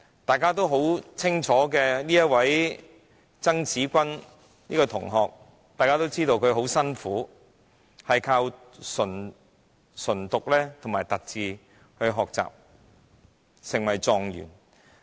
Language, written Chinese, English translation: Cantonese, 大家都知道有一位很聰明的曾芷君同學，眾所周知，她非常刻苦，靠着唇讀和凸字學習，最終成為狀元。, We all know TSANG Tze - kwan a very smart student who studies by using braille and lip - reading . She worked against all odds and became top achiever in public examinations